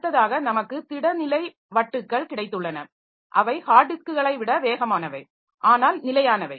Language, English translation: Tamil, So, next we have got this solid state disk so they are faster than hard disk but a non volatile